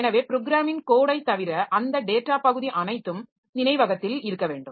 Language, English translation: Tamil, So, apart from the program code, so all the data part should also be there in the memory